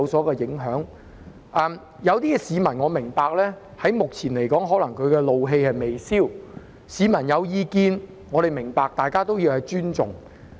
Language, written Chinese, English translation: Cantonese, 我明白有些市民可能至今仍然怒氣未消，市民如有意見，我明白，大家亦須尊重。, I understand why the anger of some members of the public has still not subsided . If the public have opinions about the issue I understand them and we also have to respect them